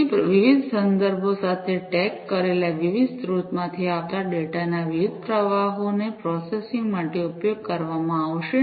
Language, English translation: Gujarati, So, different streams of data coming from different sources tagged with different contexts are going to be used for processing